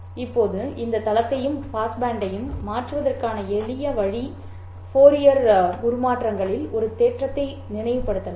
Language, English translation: Tamil, Now the simplest way of transforming this baseband into pass band is to recall a theorem in Fourier transforms